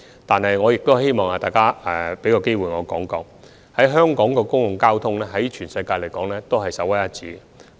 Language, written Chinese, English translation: Cantonese, 但是，我也想藉此機會向大家指出，香港的公共交通在全球是首屈一指的。, Nevertheless taking this opportunity I would like to point out to Members that the public transport in Hong Kong is second to none in the world